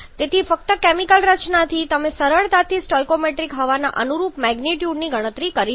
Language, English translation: Gujarati, So, just from the chemical composition you can easily calculate the corresponding magnitude of stoichiometric air